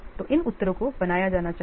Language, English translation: Hindi, So, these answers must be made